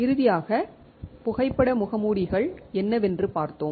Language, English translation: Tamil, Finally, we have seen what are photo masks